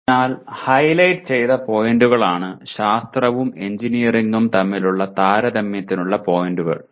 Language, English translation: Malayalam, So the highlighted points are the points for comparison between science and engineering